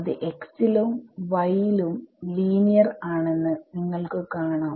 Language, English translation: Malayalam, So, you can see that they are linear in x and y right